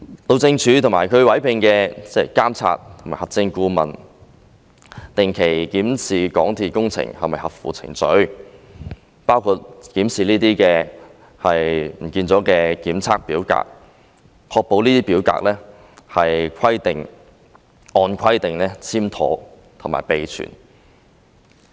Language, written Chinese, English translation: Cantonese, 路政署及其委聘的監察及核證顧問定期檢視港鐵工程是否合乎程序，包括檢視這些消失了的檢測表格，確保這些表格是按規定簽妥和備存。, The Highways Department and its Monitoring and Verification Consultant conduct regular checks on MTRCLs compliance with the procedures in its construction works which include checking these inspection forms that are now missing to ensure that the forms are signed and kept as required